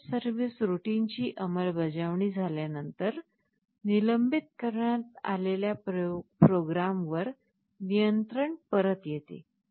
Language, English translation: Marathi, After execution of the interrupt service routine, control comes back to the program that was suspended